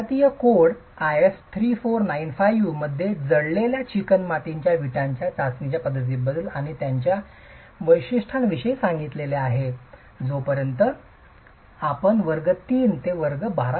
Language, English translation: Marathi, The Indian code IS 3495 which talks about the methods of tests for burn clay brick and specifications thereof actually allow 20% water absorption by weight as long as you are looking at classes of bricks from class 3 to class 2